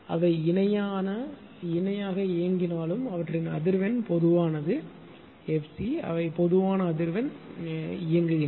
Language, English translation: Tamil, Although they operating in parallel right and but their frequency is common that is f c they operate at a common frequency right